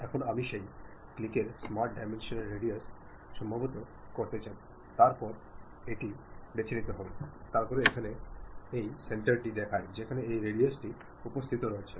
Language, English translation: Bengali, Now, I would like to adjust radius of that click smart dimension then pick that, then it shows the center from where this radius is present